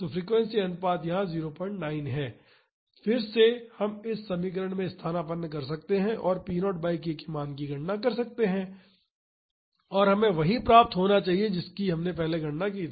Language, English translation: Hindi, 9 here, again we can substitute in this equation and calculate the value of p naught by k and we should get the same as we calculated earlier